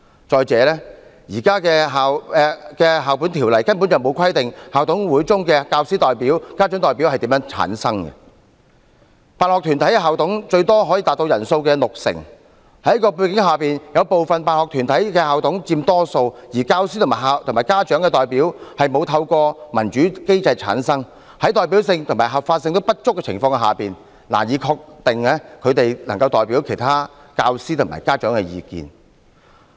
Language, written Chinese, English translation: Cantonese, 再者，現時《教育條例》根本沒有規定校董會中的教師代表、家長代表是如何產生，辦學團體校董最多可達總人數的六成，在這種背景下，有部分辦學團體校董佔多數，而教師和家長代表均沒有透過民主機制產生，在代表性和合法性不足的情況下，難以確定他們能代表其他教師和家長的意見。, In addition the current Education Ordinance fails to provide for the selection of teacher representatives and parent representatives of IMC . Since sponsoring body managers can account for up to 60 % of the total number of managers sponsoring body managers are in the majority in certain cases . When teacher and parent representatives are not selected through democratic means the lack of representation and legitimacy renders it difficult to ensure that they can represent other teachers and parents